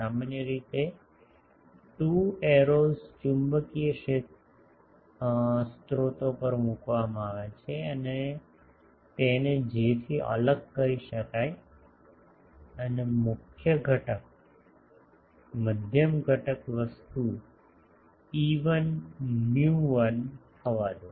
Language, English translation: Gujarati, Generally, 2 arrows are placed on a magnetic sources to distinguish it from J and let the medium constitutive thing is epsilon 1 mu 1